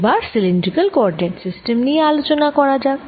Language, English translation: Bengali, third, let's look at the volume element in the cylindrical coordinates